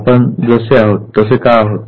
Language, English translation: Marathi, Why are we the way we are